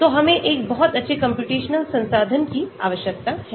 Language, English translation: Hindi, so we need a very good computational resource